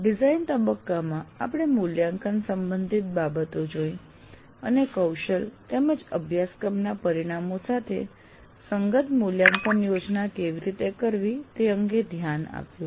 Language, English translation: Gujarati, And then in design phase, we address the issue of assessment and how to plan assessment in alignment with that of competencies and course outcomes